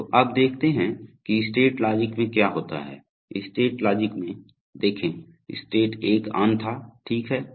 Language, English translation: Hindi, So now let us see what happens in the state logic, in the state logic, see state 1 was on, right